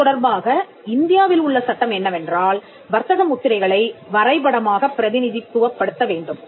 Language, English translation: Tamil, The law in India with regard to this is that the marks need to be graphically represented